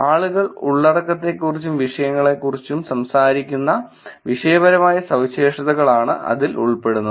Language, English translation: Malayalam, That is the topical characteristics which is what kind of content and topics people talking about